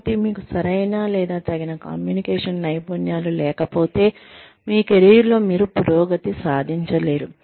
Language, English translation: Telugu, So, unless, you have the right, or an appropriate, an optimum level of communication skills, you will not be able to progress, in your career